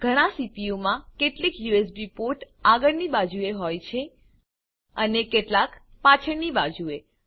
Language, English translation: Gujarati, In most of the CPUs, there are some USB ports in the front and some at the back